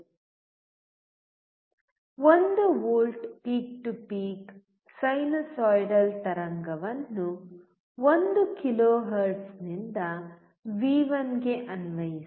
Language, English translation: Kannada, Apply 1 volt peak to peak sine wave at 1 kilohertz to V1